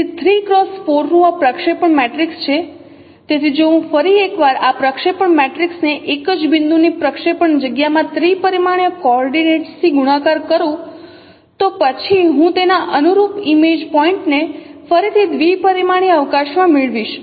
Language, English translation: Gujarati, So if I multiply once again this projection matrix with the three dimensional coordinates in the projective space of a scene point, then I will get its corresponding image point once again in a two dimensional projective space